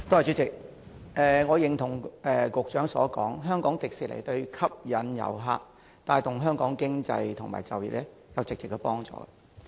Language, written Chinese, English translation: Cantonese, 主席，我認同局長所說，香港迪士尼對吸引遊客和帶動香港經濟及就業有直接幫助。, President I agree with the Secretary that HKDL can directly help attract tourists and contribute to Hong Kongs economy and employment